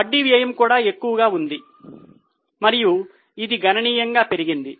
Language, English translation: Telugu, Interest cost is also high and it has gone up substantially